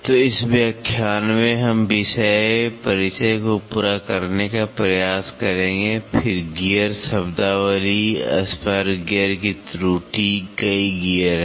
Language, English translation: Hindi, So, in this lecture we will try to cover topics introduction, then gear terminology, error of spur gear, there are several gears